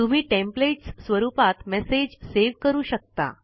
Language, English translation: Marathi, You can also save the message as a template